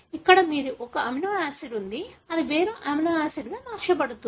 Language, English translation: Telugu, Here you have an amino acid that is converted into a different amino acid